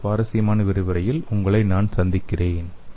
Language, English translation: Tamil, I will see you all in another interesting lecture